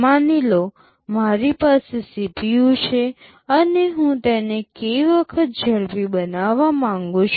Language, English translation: Gujarati, Suppose, I have a CPU and I want to make it k times faster